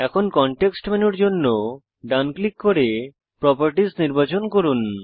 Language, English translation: Bengali, Now, right click for the context menu and select Properties